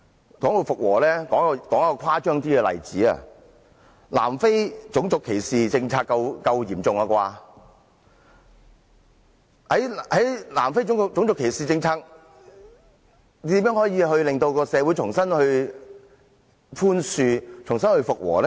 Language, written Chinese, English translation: Cantonese, 談到復和，我舉一個較為誇張的例子，南非種族歧視政策算得上很嚴重，在南非種族歧視政策下，如何令社會重新寬恕、重新復和呢？, Talking about restoring peace let me cite an extreme example . Apartheid was an extreme policy in South Africa . How did its government deal with the aftermath of this policy and forge reconciliation and re - establish peace in society?